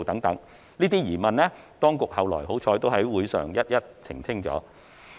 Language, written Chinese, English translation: Cantonese, 這些疑問，幸好當局後來在會議上均已逐一澄清。, I am thankful that these queries have been clarified one by one by the Administration subsequently at the meeting